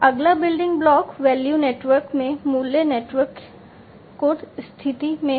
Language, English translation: Hindi, The next building block is the position in the value network position in the value network